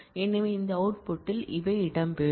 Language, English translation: Tamil, So, these will feature in the output of this selection